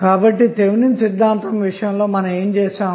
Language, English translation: Telugu, So, what we do in case of Thevenin's theorem